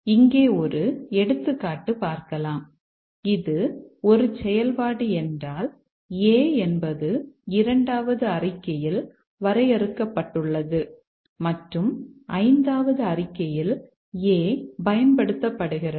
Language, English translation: Tamil, Just to give an example here, if this is a function, A is defined here in the second statement and A is used in the fifth statement